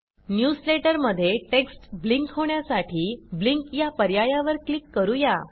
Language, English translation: Marathi, In order to blink the text in the newsletter, we click on the Blink option And finally click on the OK button